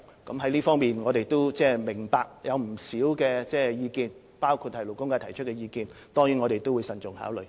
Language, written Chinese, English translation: Cantonese, 我們明白在這方面有不少不同意見，包括勞工界提出的意見，我們定當慎重考慮。, We understand that many different views have been expressed in this regard including those expressed by the labour sector and we will definitely take them into careful consideration